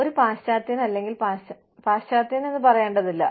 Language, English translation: Malayalam, A western, or, i should not say western